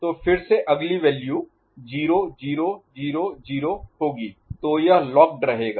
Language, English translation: Hindi, So, again next value will be 0 0 0 0; so it will remain locked